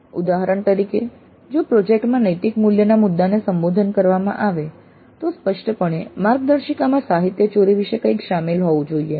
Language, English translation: Gujarati, For example, if the project is supposed to address the issue of ethics, then explicitly the guidelines must include something about plagiarism